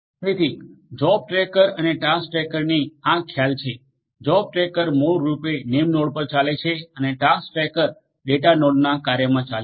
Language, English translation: Gujarati, So, are these concepts of the job tracker and task tracker, the job tracker are basically running at the name nodes and the task trackers are running in the task in the data node right